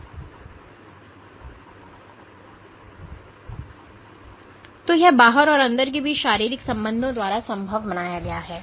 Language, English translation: Hindi, And this is made possible by physical linkages between the outside and the inside